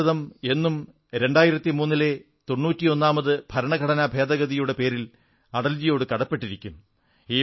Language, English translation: Malayalam, India will remain ever grateful to Atalji for bringing the 91st Amendment Act, 2003